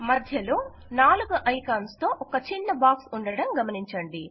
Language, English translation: Telugu, Notice a small box with 4 icons in the centre